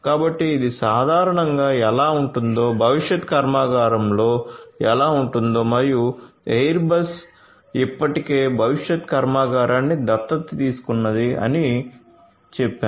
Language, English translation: Telugu, So, this is typically how it looks like, what it looks like in a factory of the future and as I told you that airbus has already adopted the factory of the future right